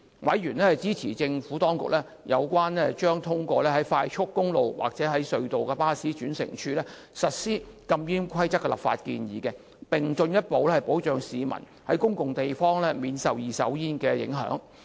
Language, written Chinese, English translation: Cantonese, 委員支持政府當局有關將通往快速公路或隧道的巴士轉乘處實施禁煙規定的立法建議，以進一步保障市民在公共地方免受二手煙影響。, Members supported the Administrations legislative proposal on implementing a smoking ban at bus interchanges leading to expressways or tunnels as a means of providing people with further protection against passive smoking in public places